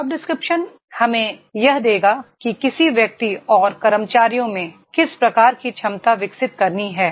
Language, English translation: Hindi, Job description will give us that is what type of ability an individual and employee has to develop